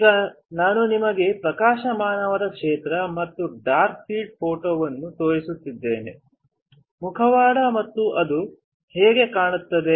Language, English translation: Kannada, Now, I have shown you bright field and dark field photo mask and how it looks